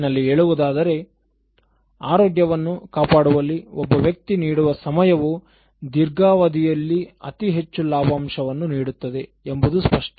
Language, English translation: Kannada, Overall, it was clear that the time one gives for maintaining one’s health will pay rich dividends in the long run